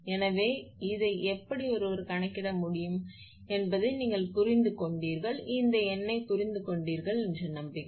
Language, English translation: Tamil, So, this is how one can calculate I hope you have understand this, understood this numerical